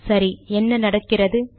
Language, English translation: Tamil, Okay, what happens